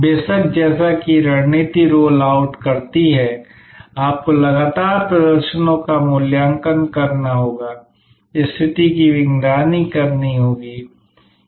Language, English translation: Hindi, Of course, as the strategy rolls out you have to constantly evaluate performances, monitor the situation